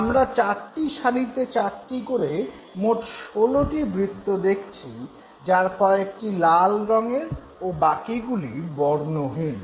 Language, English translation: Bengali, We had just know four circles finally leading to 16 circles and we had the red color ones and the colorless circles